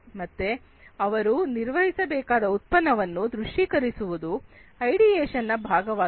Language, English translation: Kannada, So, they visualize this product to be built that is the ideation part